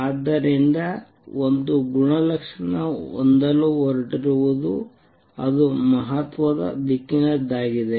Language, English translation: Kannada, So, one property is going to have is it is highly directional